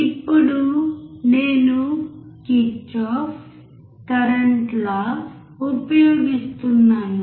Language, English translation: Telugu, Now, I use Kirchhoff’s current law